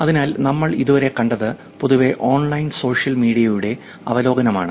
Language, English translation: Malayalam, So, what we have seen until now is generally, overview of online social media